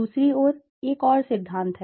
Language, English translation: Hindi, On the other hand, there is another theory